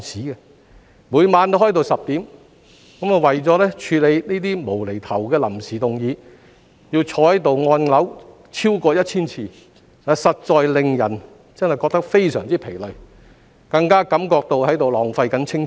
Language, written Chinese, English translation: Cantonese, 我們每晚開會都開到晚上10時，為了處理這些"無厘頭"的臨時動議，更要坐在這裏按鈕超過千次，實在令人感到非常疲累，更加感覺到是在浪費青春。, We had meetings until ten oclock every night . In order to deal with those ridiculous ad hoc motions we had to sit here and press the button more than 1 000 times . That was rather exhausting and I even deem it a waste of the prime of our life